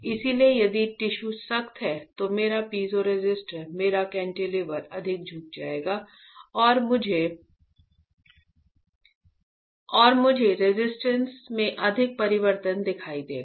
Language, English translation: Hindi, So, if the tissue is stiffer, my piezoresistor my cantilever will bend more and I will see more change in resistance